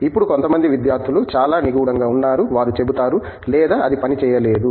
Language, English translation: Telugu, Now, some students are very cryptic, they will say, No, it didnÕt work